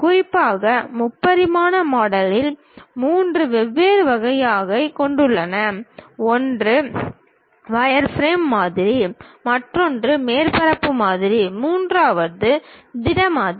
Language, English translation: Tamil, Especially, the three dimensional modelling consists of three different varieties: one is wireframe model, other one is surface model, the third one is solid model